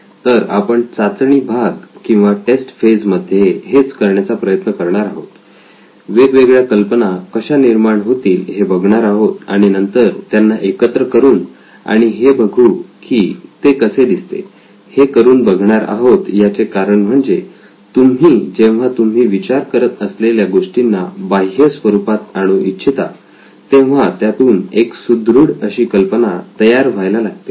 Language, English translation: Marathi, So this is what we are going to try to do in the testing phase, trying to get different ideas, merge them together and see how it all looks like because when you externalise what you are thinking, your thought process it starts forming much more concrete idea